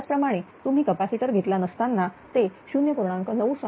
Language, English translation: Marathi, Similarly that your without capacitor it was 0